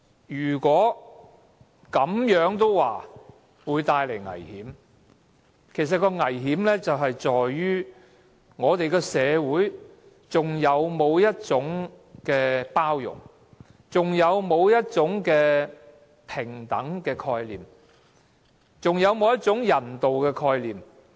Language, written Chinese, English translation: Cantonese, 如果這樣，也說會帶來危險，其實當中的危險在於我們的社會有否包容？有否平等概念？有否人道概念？, If it will cause any danger the danger actually lies in whether our society is tolerant whether there is a concept of equality and whether there is a concept of humanitarianism